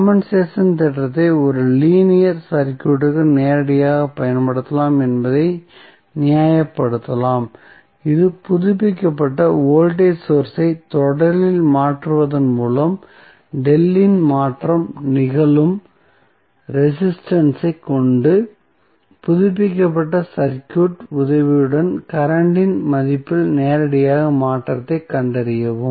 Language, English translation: Tamil, So, this you can justify that the compensation theorem can be directly applied for a linear circuit by replacing updated voltage source in series with the resistance where the change of delta is happening and find out the value directly the change in the value of current directly with the help of updated circuit